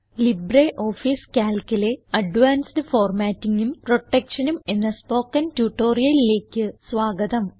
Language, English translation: Malayalam, Welcome to the Spoken Tutorial on Advanced Formatting and Protection in LibreOffice Calc